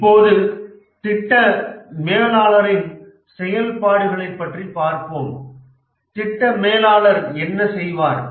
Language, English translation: Tamil, Now let's look at the activities of the project manager